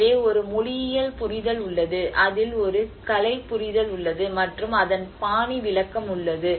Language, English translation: Tamil, So, there has been a linguistic understanding, there has been an artistic understanding in it, and you know the style interpretation of it